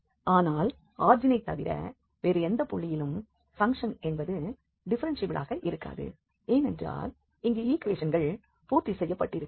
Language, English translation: Tamil, But at any other point then origin definitely we know that the function is not differentiable, because here equations are not satisfied